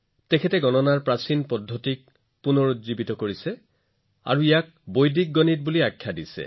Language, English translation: Assamese, He revived the ancient methods of calculation and named it Vedic Mathematics